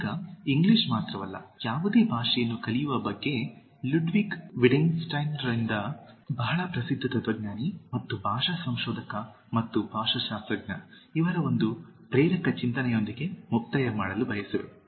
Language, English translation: Kannada, Now, just to conclude with one motivating thought about learning any language, not just English It’s from Ludwig Wittgenstein a very famous philosopher and language researcher and linguist